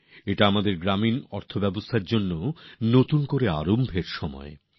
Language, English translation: Bengali, It is also the time of a new beginning for our rural economy